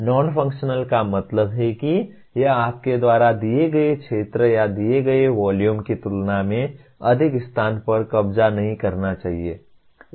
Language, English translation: Hindi, Non functional means it should not occupy more space than you do, than given area or given volume